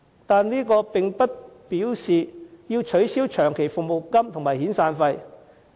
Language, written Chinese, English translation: Cantonese, 但是，這並不表示要取消長期服務金和遣散費。, Nevertheless this does not mean long service and severance payments should be abolished